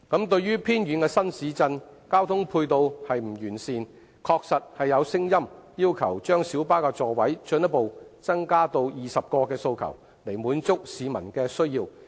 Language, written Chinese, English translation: Cantonese, 對於偏遠的新市鎮，交通配套不完善，確實有聲音要求把小巴座位進一步增加至20個的訴求，以滿足市民的需要。, In remote new development towns with inadequate transport facilities there are indeed voices calling for the further increase of the seating capacity of light buses to 20 to meet public demand